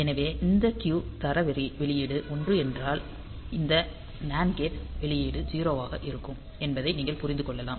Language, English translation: Tamil, So, if this Q quality output is 1; you can understand that this NAND gate output will be 0